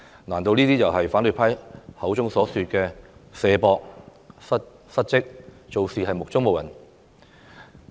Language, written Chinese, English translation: Cantonese, 難道這就是反對派口中所說的"卸膊"、"失職"、做事目中無人嗎？, Is this what the opposition camp call shirking responsibilities dereliction of duty and arrogance?